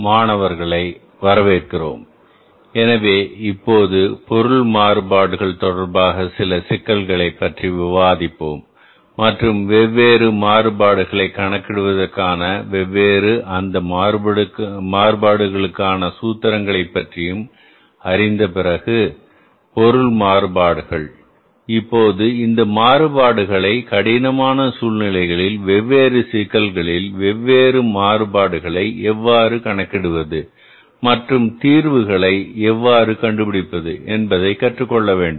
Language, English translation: Tamil, So, now we will discuss some problems with regard to the material variances and after knowing about the different formulas for calculating the different variances material variances now we will have to calculate these variances learn about that in the different situations in the different problems how to calculate the different variances and how to find out the solutions to those variances